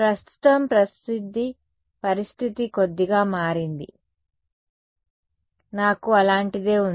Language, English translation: Telugu, Right now the situation has changed a little bit, I have something like this